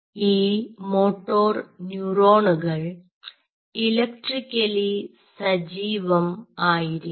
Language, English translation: Malayalam, this moto neuron has to be spontaneously, spontaneously active, electrically